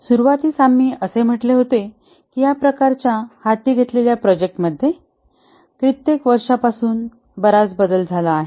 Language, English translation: Marathi, At the beginning we had said that the type of projects that are undertaken have undergone a drastic change over the years